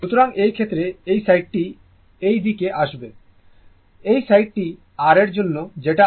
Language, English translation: Bengali, So, in this case, this side will come to that, this side is for your what you call for rms value